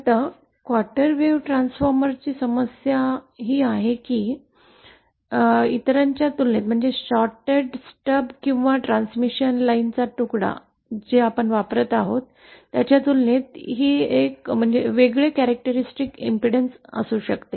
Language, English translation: Marathi, Now the problem with quarter wave transformer is that it is it is it has a different characteristic impedance compared with others either shorted stub or the piece of transmission line that we are using